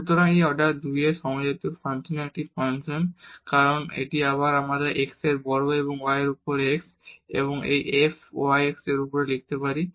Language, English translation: Bengali, So, this is a function of homogeneous function of order 2 because this we can again write down as x square and y over x and this f y over x